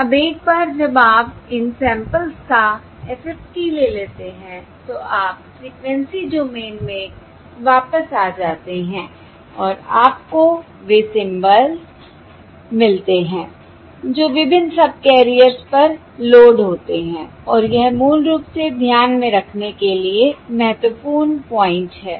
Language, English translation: Hindi, Now, once you take the FFT of these samples, you are back in the frequency domain and you get the symbols that are loaded on to the various subcarriers, and that is basically the important point to keep in mind